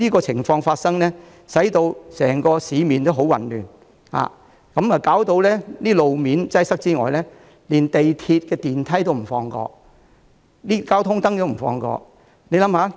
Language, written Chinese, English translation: Cantonese, 除了導致整個市面十分混亂，路面擠塞之餘，他們連港鐵電梯和交通燈也不放過。, On top of messing up the entire city and creating traffic jams they did not spare the elevators at MTR stations and the traffic lights